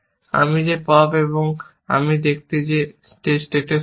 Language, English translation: Bengali, I pop that and I see that is true in this state